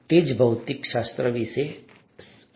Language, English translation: Gujarati, That's what physics is all about